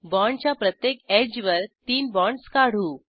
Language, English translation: Marathi, On each edge of the bond let us draw three bonds